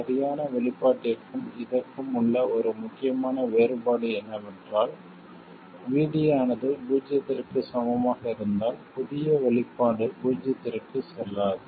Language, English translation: Tamil, One crucial difference between the exact expression and this is that our new expression does not go to 0 when VD equals 0